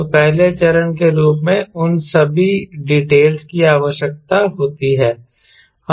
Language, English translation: Hindi, so all those details are required as a first step